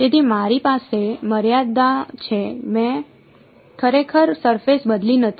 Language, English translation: Gujarati, So, I have in the limit I have not really change the surface